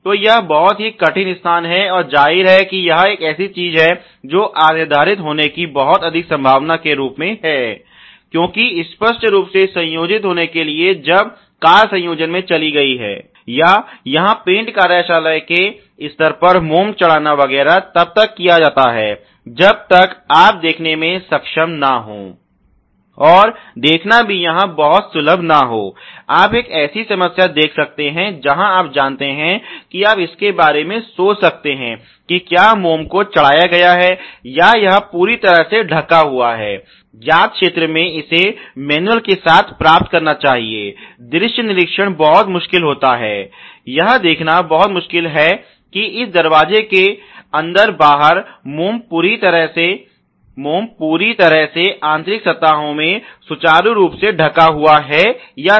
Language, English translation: Hindi, So, it is very difficult location and obviously it is something which also as a very high chance of going undetected, because obviously in the assembly when the car has gone into the assembly or even, let us say even at the paint shop stage when the waxing etcetera has been done unless you are able to see and seeing is also not very accessible here, you can see a problem where the you know you can think of it the whether the wax is covered or its totally covering all the way to whatever you known region it should get into with the manual, visual kind of an inspection it becomes very, very difficult to see whether inside this door outer inner the wax is getting covered in the whole inner surfaces smoothly or not ok